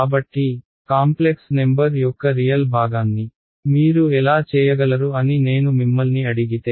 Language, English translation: Telugu, So, if I asked you to simply this what how would you write down real part of a complex number